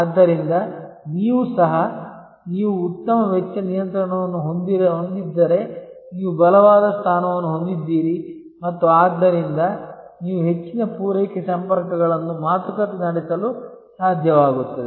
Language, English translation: Kannada, So, also you are, if you have a better cost control then you have a stronger position and therefore, you are able to negotiate longer supply contacts